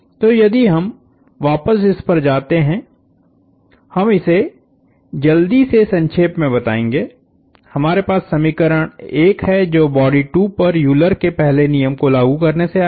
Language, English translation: Hindi, So, if you go back we will quickly recap, we have equation 1 that came from applying Euler’s first law to body 2